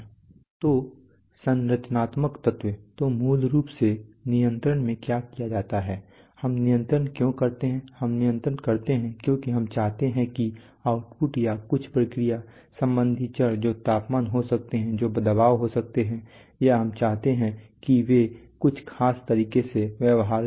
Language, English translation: Hindi, So the structural element so what is basically done in control why do we control, we control because we want that the outputs or some process related variables which could be temperature, which could be pressure, or we want them to behave in certain ways that we desire